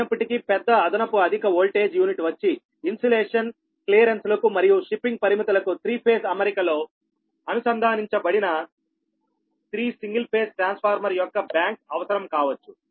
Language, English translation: Telugu, however, the large extra high voltage units, the insulation clearances and shipping limitations may require a bank of three single phase transformer connected in three phase arrangement